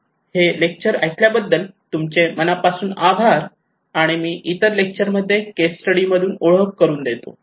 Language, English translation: Marathi, So thank you very much for listening this lecture and I will introduce to you in other lectures